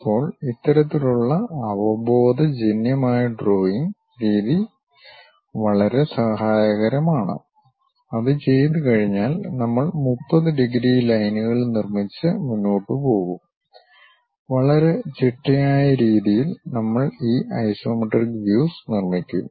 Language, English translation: Malayalam, Now this kind of intuitive way of drawing is very helpful, once that is done we will be in a position to construct 30 degrees lines and go ahead and in a very systematic way, we will construct this isometric views